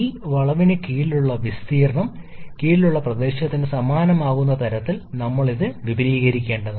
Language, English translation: Malayalam, So, we have to extend this such that the area under this curve becomes similar to the area under this 2 to 3 curve